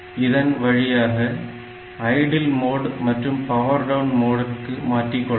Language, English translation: Tamil, So, this has got one idle mode and a power down mode